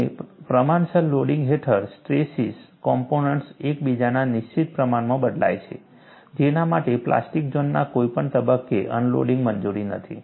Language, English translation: Gujarati, And under proportional loading, stress components change in fixed proportion to one another, for which no unloading is permitted at any point of the plastic zone